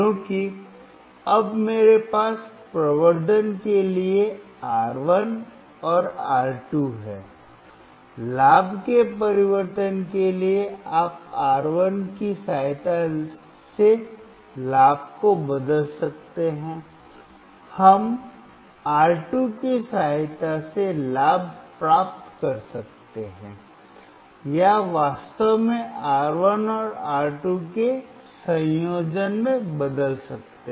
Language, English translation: Hindi, Because now I have R1 and R2 in the for the amplification, for the changing of the gain, you can change the gain with the help of R1, we can change the gain with the help of R2 or actually in combination of R1 and R2